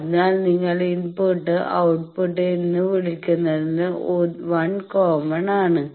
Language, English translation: Malayalam, So, which 1 you call input and output 1 of them is common